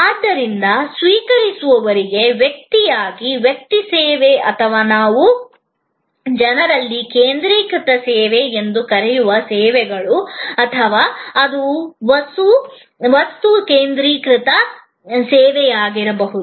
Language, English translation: Kannada, So, either services offered to the recipient as a person to person, service or what we call people focused service or it could be object focused service